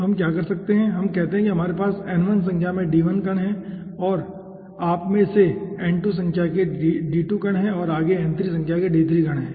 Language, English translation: Hindi, okay, so what we can do, we call that we are having n1 number of d1 particles over here, n2, number of you can count the number, n2, number of d2 particles and subsequently n3 number of d3 particles